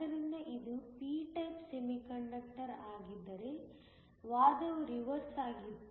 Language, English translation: Kannada, So, if this had been a p type semiconductor, the argument would have been reversed